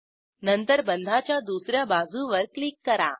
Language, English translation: Marathi, Then click other edge of the bond